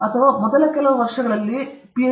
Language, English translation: Kannada, or in first the few years of the Ph